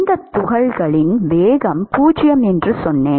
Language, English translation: Tamil, We said that the velocity of these particles as 0